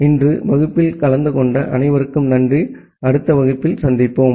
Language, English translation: Tamil, Thank you all for attending the class today, see you in the next class